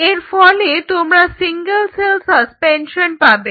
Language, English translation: Bengali, So, you have a single cell suspension in a medium